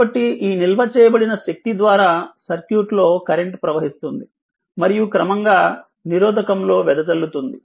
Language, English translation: Telugu, So, this stored energy causes the current to flow in the circuit and gradually dissipated in the resistor